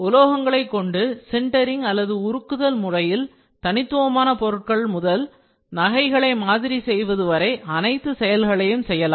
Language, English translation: Tamil, Metals are either sintered or fully melted to create everything from specialized components to rapid prototypes to jewelry